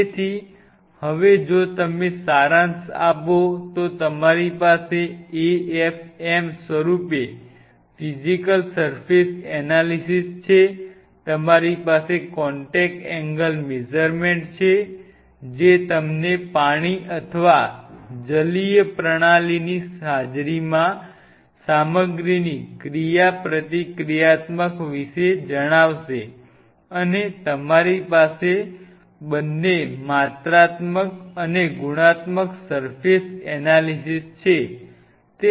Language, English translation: Gujarati, So, now if you summarize you have a physical surface analysis in the form of afm you have a contact angle measurement which will tell you the interactive behavior of the material in the presence of water or aqueous system and you have a surface analysis both quantitative and qualitative